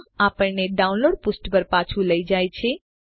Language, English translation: Gujarati, This takes us back to the download page